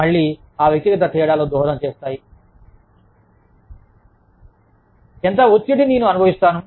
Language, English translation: Telugu, Again, that individual differences contribute to, how much stress, i experience